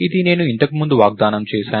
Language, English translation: Telugu, This is what I was promising earlier, right